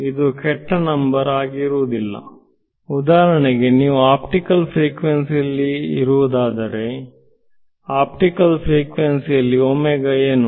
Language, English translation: Kannada, For example supposing you are in optical frequencies; optical frequencies what is omega ok